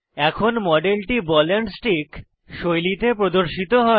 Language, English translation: Bengali, The model is now converted to ball and stick style display